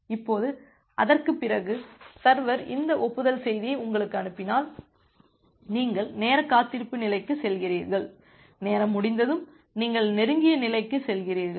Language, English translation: Tamil, Now, after that if the server sends this acknowledgement message to you, then you move to the time wait state and after the time out occurs, you move to the close state